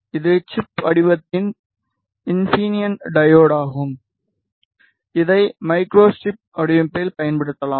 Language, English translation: Tamil, This is a infineon diode of chip form which can be used in microstrip design